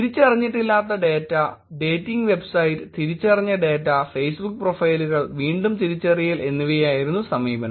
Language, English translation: Malayalam, The approach that was taken was un identified data, dating website, identified data, Facebook profiles and the re identification was to be done